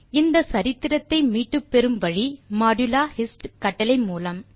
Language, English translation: Tamil, The history can be retrieved by using modulo hist command